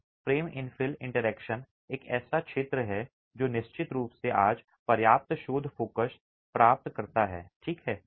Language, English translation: Hindi, So, the frame infel interaction is an area that definitely receives enough research focus today